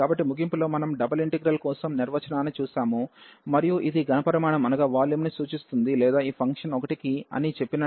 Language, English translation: Telugu, So, the conclusion is we have seen the the definition also for the double integral and which represents the volume or if we said this function to be 1